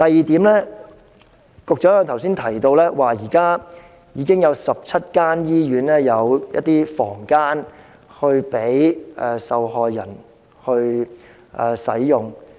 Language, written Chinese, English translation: Cantonese, 此外，局長剛才亦提到，現時已有17間醫院提供房間供受害人使用。, Besides the Secretary also said that at present 17 hospitals were equipped with a room for victims use